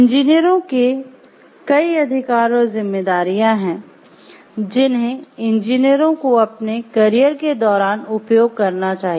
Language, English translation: Hindi, There are many rights and responsibilities that engineers must exercise in the course of their professional careers